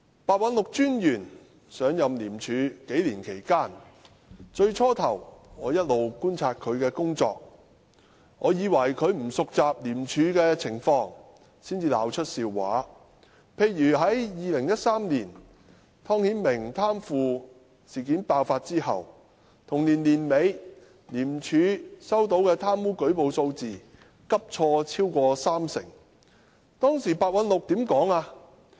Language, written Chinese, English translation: Cantonese, 白韞六專員在廉署上任數年，起初我一直觀察他的工作，我以為他不熟習廉署的情況才鬧出笑話，例如在2013年湯顯明貪腐事件爆發之後，同年年尾廉署收到的貪污舉報數字急挫超過三成，當時白韞六怎樣說呢？, ICAC Commissioner Simon PEH has assumed office for several years . Initially during my observation of his work I thought that he made himself a laughing stock because he was not versed in the operation of ICAC . For instance in 2013 when the incident of corruption involving Timothy TONG was brought to light the number of reports on corruption received by ICAC at the end of the same year dropped sharply by 30 % and what did Simon PEH say at that time?